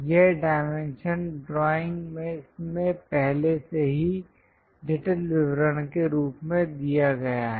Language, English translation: Hindi, This dimension must have been already given in the drawing as intricate detail